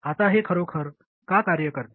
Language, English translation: Marathi, Now why does this really work